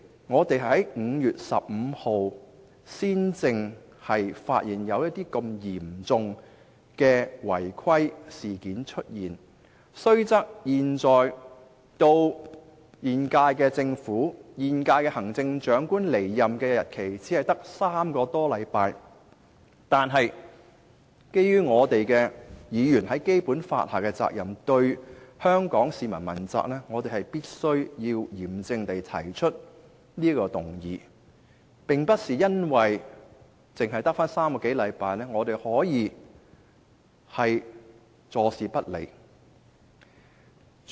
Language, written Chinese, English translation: Cantonese, 我們在5月15日才發現如此嚴重的違規事件，雖然現時距現屆政府和行政長官離任只有3個多星期，但基於議員在《基本法》下須對香港市民問責，我們必須嚴正提出這項議案，不能因為只餘下3個多星期便坐視不理。, It was not until 15 May that we discovered such a serious breach . Although only three weeks are left before the expiry of the tenure of the incumbent Government and of the Chief Executive we must solemnly initiate this motion because Members are accountable to the Hong Kong people under the Basic Law . We cannot turn a blind eye simply because only the current - term Government will remain in office for just three weeks or so